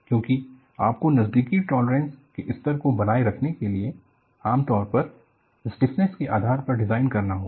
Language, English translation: Hindi, Because, you have to maintain close tolerance levels and usually designed based on stiffness